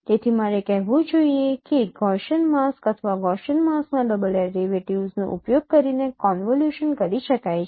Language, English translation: Gujarati, So I should say tricks which is used approximating convolutions using Gaussian masks or double derivatives of Gaussian masks